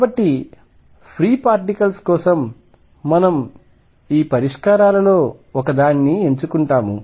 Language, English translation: Telugu, So, for free particles which one of these solutions do we pick that is the question